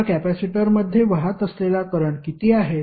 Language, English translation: Marathi, Now, next is what is the current flowing in the capacitor